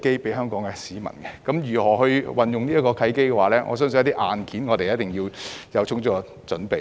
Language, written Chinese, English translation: Cantonese, 至於如何運用這契機，我相信在硬件方面一定要有充足的準備。, As for how to make use of this opportunity I believe Hong Kong must be well prepared in terms of hardware